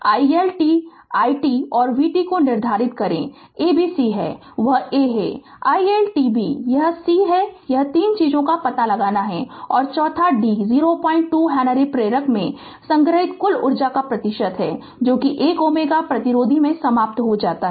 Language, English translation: Hindi, Determine i L t i t and v t that a b c that a is i L t b is it and c this 3 things you have to find out and fourth the d the percentage of the total energy stored in the 0